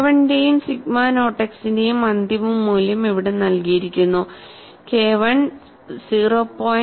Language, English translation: Malayalam, And the final value of k 1 and sigma naught x are given here, k 1 is 0